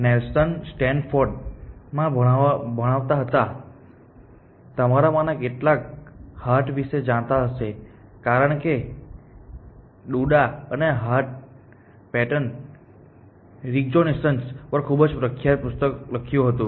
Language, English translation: Gujarati, Nelson was teaching at Stanford, Hart some of you may know because Doodah and Hart, they wrote a very well known book on pattern recognition